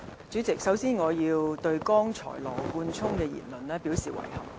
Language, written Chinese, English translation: Cantonese, 主席，首先，我要對羅冠聰議員剛才的言論表示遺憾。, President first of all I must express my regret at Mr Nathan LAWs remark just now